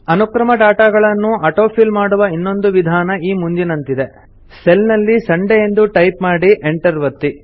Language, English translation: Kannada, Another method for auto filling of sequential data is as follows Type Sunday in a cell and press Enter